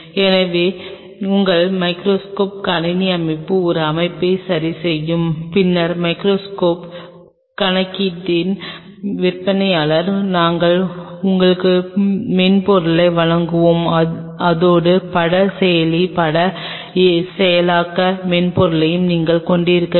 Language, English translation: Tamil, So, your microscope will have a setting adjustment to it computer setup and then of course, the seller of the compute of the microscope we will provide you the software, and you have to image processor image processing software along with it